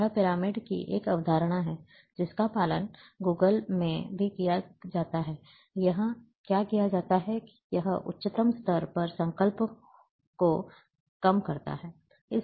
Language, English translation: Hindi, This is a concept of pyramids, which is also followed in Google earth, that, what is done here, that it reduces the resolution, at the highest level